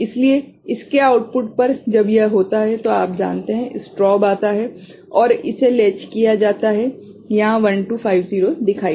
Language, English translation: Hindi, So, at the output of it, when it is, you know, strobe comes and latched it will show 1 here 2 5 0